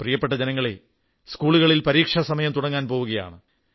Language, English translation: Malayalam, My dear countrymen, exam time in schools throughout the nation is soon going to dawn upon us